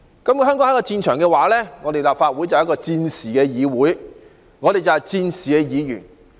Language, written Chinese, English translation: Cantonese, 如果香港是一個戰場，立法會便是戰時的議會，而我們則是戰時的議員。, If Hong Kong has become a battlefield then the Legislative Council will be a wartime legislature and we will be Legislative Council Members during wartime